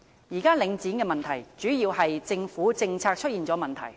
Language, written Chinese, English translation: Cantonese, 現時領展的問題，主要是政府政策出現問題。, The current Link REIT issue is mainly attributed to problems in government policies